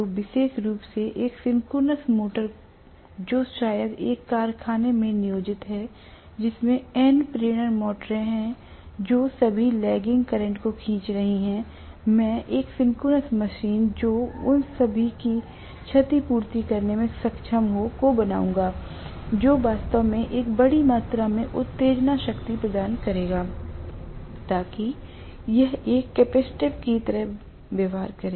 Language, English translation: Hindi, So, especially a synchronous motor, which is probably employed in a factory, which has N number of induction motors, which are all drawing lagging current, I would be able to make one synchronous machine compensate for all that reactive power by actually providing a large amount of excitation to it